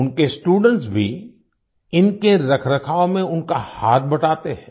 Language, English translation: Hindi, His students also help him in their maintenance